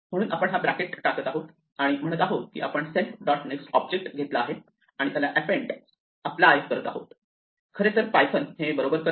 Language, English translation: Marathi, So, we have put this bracket saying that we take the object self dot next and apply append to that actually python will do this correctly